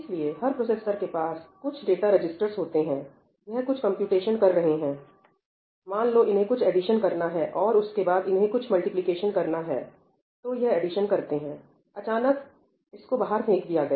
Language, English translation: Hindi, So, now, each processor has some data registers and it is doing some computation let us say, it was supposed to do some addition and then it was supposed to do some multiplication; it did the addition, suddenly, it got thrown out